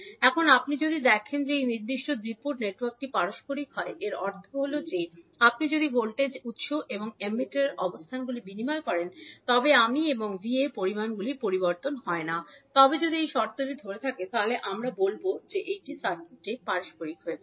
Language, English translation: Bengali, Now, if you see that this particular two port network is reciprocal, it means that if you exchange the locations of voltage source and the emitter, the quantities that is I and V are not going to change so if this condition holds we will say that the circuit is reciprocal